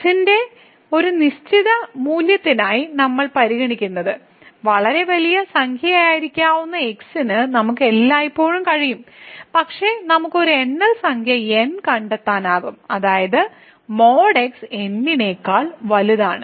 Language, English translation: Malayalam, So, what we consider for a fixed value of , we can always whatever as could be very large number, but we can find a natural number such that the absolute value of this is greater than